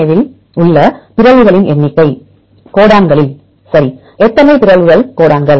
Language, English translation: Tamil, Number of mutations in the DNA, in the codons right, how many mutations in the codons